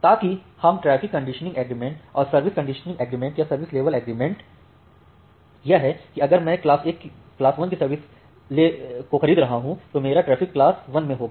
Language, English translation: Hindi, So that we call as the traffic conditioning agreement and the service conditioning agreement or the service level agreement is that well I am purchasing that class 1 my traffic is in class 1